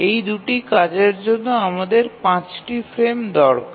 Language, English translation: Bengali, So we need five frames for these two tasks